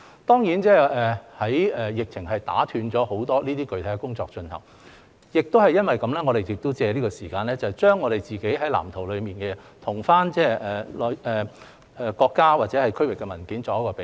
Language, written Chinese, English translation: Cantonese, 當然，疫情打斷了很多具體工作的進行；因此，我們想藉着這段時間，把自己的《發展藍圖》與國家或區域的文件作比對。, Of course the pandemic has interrupted the implementation of many specific tasks; therefore we would like to make use of this time to compare our Blueprint with national or regional documents